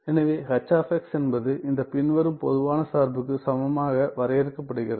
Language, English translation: Tamil, So, H of x is defined by this following generalized function equivalent